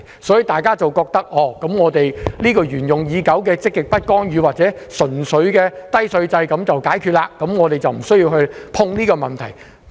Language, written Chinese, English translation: Cantonese, 所以，大家都認為繼續沿用實行已久的積極不干預政策或低稅制便可以解決問題，不需要觸碰稅務這個議題。, Thus people think that problems can be solved by continuing with the long - established positive non - intervention policy or the low tax regime without having to tackle the issue of taxation